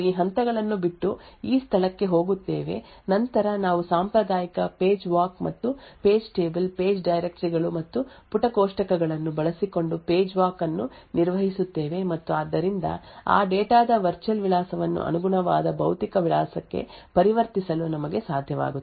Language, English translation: Kannada, In this particular case it is no so we skip this steps and we go to this place then we perform a traditional page walk and page table, page walk using the page directories and page tables and therefore we will be able to convert the virtual address of that data to the corresponding physical address